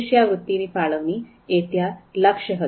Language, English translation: Gujarati, So there, allocation of a scholarship that was the goal